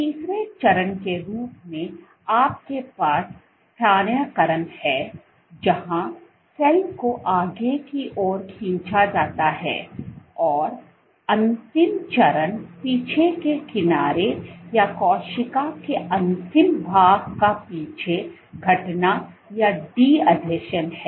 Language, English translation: Hindi, As a third step you have translocation where the cell is pulled forward, and the last step is retraction or de adhesion of the trailing edge or the last portion of the cell